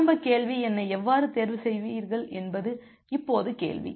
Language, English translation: Tamil, Now the question is that how will you choose the initial sequence number